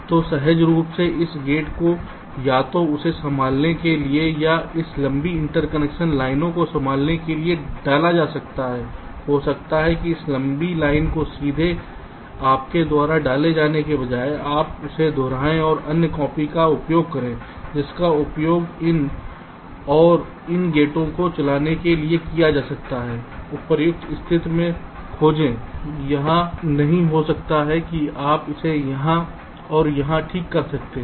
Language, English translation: Hindi, so intuitively, this gates can be inserted either to handle this or to handle this long interconnection lines, maybe instead driving directly this long line, you insert, you replicate it and anther copy to use which will be used to drive these and these gate you can locate in a suitable position, not here may be, you can place it here and here